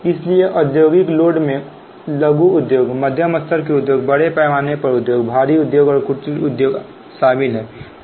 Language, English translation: Hindi, so industrial loads consists of small scale industries, medium scale industries, large scale industries, heavy industries and cottage industries